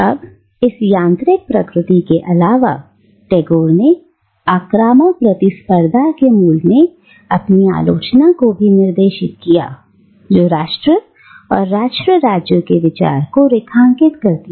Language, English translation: Hindi, Now, apart from this mechanical nature, Tagore also directs his criticism at the essence of aggressive competition which underlines the idea of nation and nation states